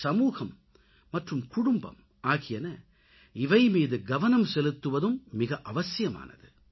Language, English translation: Tamil, Society and the family need to pay attention towards this crisis